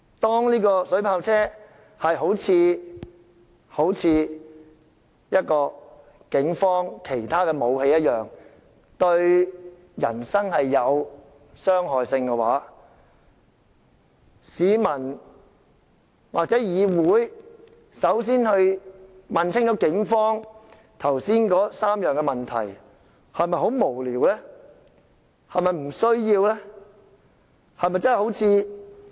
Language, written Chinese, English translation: Cantonese, 當水炮車一如警方其他武器會對人身造成傷害，市民或立法會向警方問過明白，又是否真的很無聊和沒有必要？, As water cannon vehicles just like other weapons of the Police can inflict harm to human body are the questions raised to the Police by the public or the Legislative Council with the aim of having a full understanding really that frivolous and unnecessary?